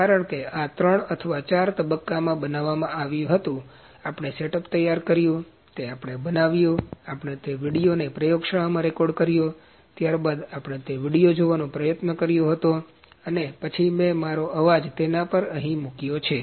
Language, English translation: Gujarati, Because this was produced in three or four phases, we made the setup we had produced, we the recorded the video in the lab when then we had tried to see that video and then I have put my voice over here